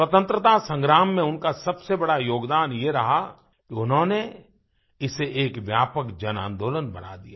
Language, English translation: Hindi, His biggest contribution in the Freedom struggle was that he made it an expansive "JanAandolan" People's Movement